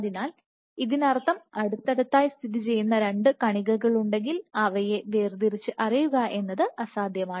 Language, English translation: Malayalam, So, which would also mean that if there were 2 particles which were closely spaced this impossible to resolve them